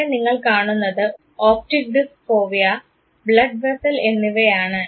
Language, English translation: Malayalam, Here you see the optic disc fovea and blood vessel